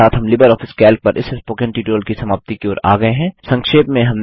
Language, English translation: Hindi, This brings us to the end of this Spoken Tutorial on LibreOffice Calc